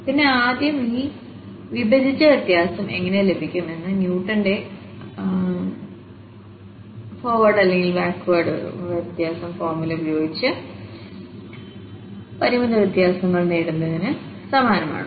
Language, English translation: Malayalam, And then the first this divided difference how do we get is exactly similar to getting these finite differences which we are doing in Newton's forward and backward difference formula, just subtract this one here